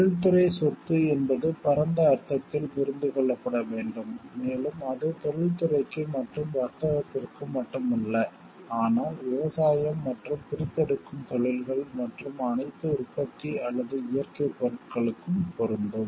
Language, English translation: Tamil, Industrial property shall be understood in the broader sense and shall apply not only to industry and commerce proper, but likewise to agriculture and extractive industries and to all manufactured or natural products